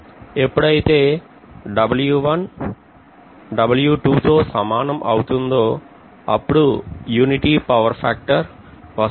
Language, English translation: Telugu, When W1 equal to W2 it will be unity power factor condition